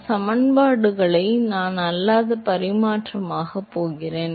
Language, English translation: Tamil, Now, I am going to non dimensionalize these equations